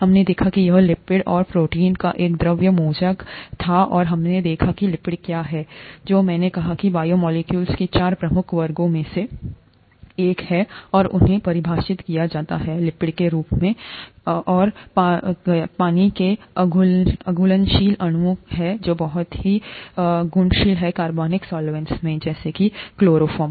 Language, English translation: Hindi, We saw that it was a fluid mosaic of lipids and proteins and we saw what are lipids, which I said was one of the four major classes of biomolecules and they are defined as, lipids are defined as water insoluble molecules which are very highly soluble in organic solvents such as chloroform